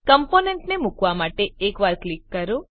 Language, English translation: Gujarati, To place component click once